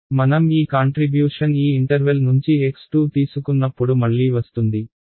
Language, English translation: Telugu, When I take the contribution from this interval x 2 will come again